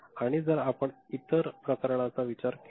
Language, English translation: Marathi, And, consider the other case